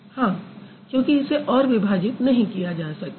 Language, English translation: Hindi, Because it cannot be further broken